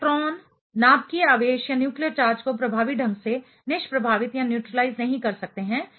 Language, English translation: Hindi, The electrons cannot neutralize the nuclear charge effectively